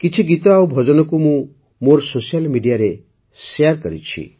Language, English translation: Odia, I have also shared some songs and bhajans on my social media